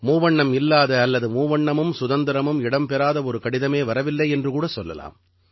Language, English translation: Tamil, I have hardly come across any letter which does not carry the tricolor, or does not talk about the tricolor and Freedom